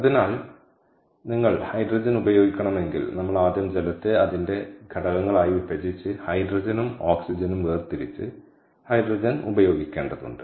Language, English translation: Malayalam, so therefore, if you, in order to use hydrogen, we have to first break down water into its constituent elements and this so and and separate out hydrogen and oxygen and then use the hydrogen, ok